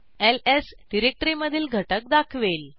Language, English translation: Marathi, ls displays the directory content